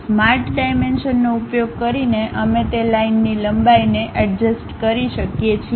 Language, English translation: Gujarati, Using the Smart Dimensions we can adjust the length of that line